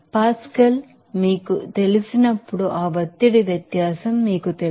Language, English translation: Telugu, So, this is you know that pressure difference as you know pascal